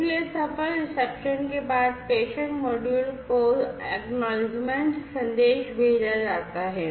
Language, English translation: Hindi, So, after successful reception and acknowledgement message is sent to the sender module